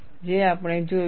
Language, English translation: Gujarati, That we have seen